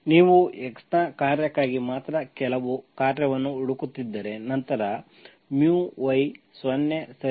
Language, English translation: Kannada, If you are looking for some function mu that is only function of x, then mu y is 0, okay